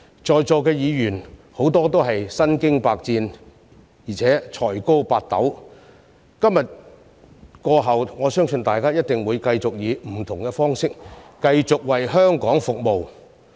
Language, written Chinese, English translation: Cantonese, 在座的議員，很多都是身經百戰，而且才高八斗，今天過後，我相信大家一定會繼續以不同方式為香港服務。, Many Members here are well experienced and highly talented . After this meeting today I am sure we will continue to serve Hong Kong in different ways